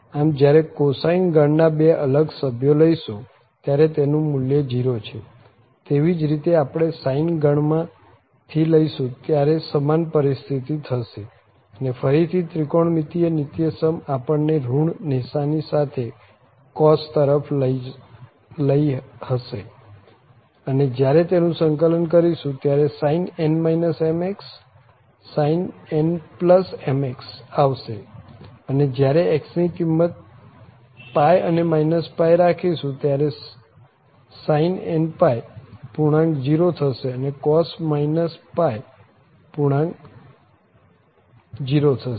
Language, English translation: Gujarati, So, can when we take the two different member of the cosine family the value is 0, similarly if we take from the sine family also the same situation will happen so again this trigonometric identity will lead to the cos only with the negative sign there and when we integrate this again sin n minus m sin n plus m will come and x and when we have to substitute the value pi n minus pi so sin integer times pi is 0 and sin n integer times pi is 0